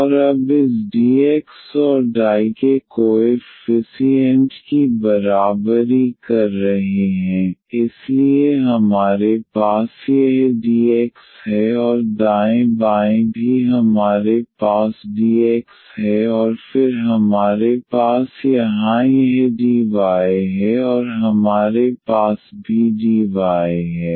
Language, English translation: Hindi, And equating now the coefficients of this dx and dy, so we have here this dx and the right hand side also we have dx and then we have this dy here and we also have the dy there